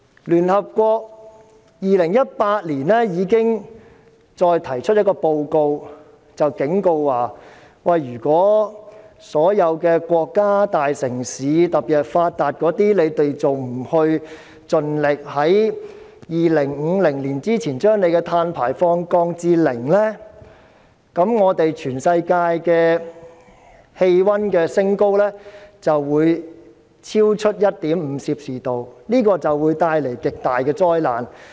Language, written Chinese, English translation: Cantonese, 聯合國於2018年已經再發表報告，警告如果所有國家、大城市，特別是發達的，還不盡力在2050年之前將各自的碳排放量降至零，全世界將升溫超過 1.5℃， 這會帶來極大的災難。, The United Nations published a report in 2018 warning that if all countries or big cities particularly the developed ones still did not strive to reduce their respective carbon emissions to zero by 2050 the global temperature rise would exceed 1.5°C and this would bring devastating catastrophes